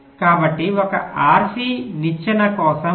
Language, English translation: Telugu, so for an r c ladder, it is this